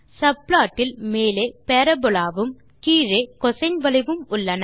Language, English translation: Tamil, The top subplot holds a parabola and the bottom subplot holds a cosine curve